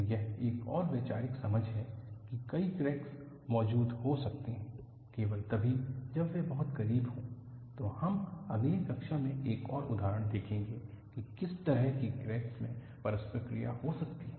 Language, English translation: Hindi, So, this is another conceptual understanding that, multiple cracks can exist and only when they remain very close, we would see another example in the next class, that, there could be some kind of crack interaction